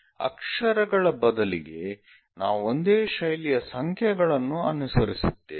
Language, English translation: Kannada, Instead of letters if we are using numbers similar kind of style we will follow